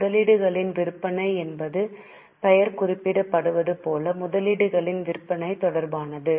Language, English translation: Tamil, Sale of investment others as the name suggests it is related to sale of investment